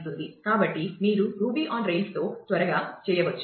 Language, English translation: Telugu, So, you can do that quickly with ruby on rails